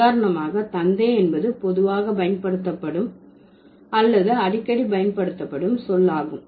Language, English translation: Tamil, Father is a more commonly used or more frequently used word in the discourse